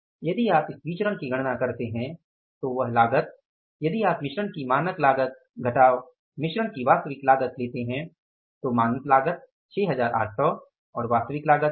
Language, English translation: Hindi, This cost if you take a standard cost of mix minus actual cost of the mix so standard cost is 6800 actual cost is 6513